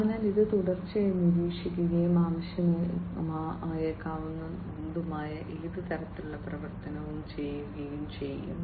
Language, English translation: Malayalam, So, this will continuously monitor, and do any kind of actuation that might be required